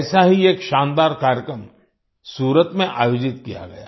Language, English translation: Hindi, One such grand program was organized in Surat